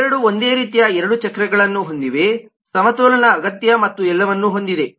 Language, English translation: Kannada, both of them have lot of things similar: two wheels, balancing required and all that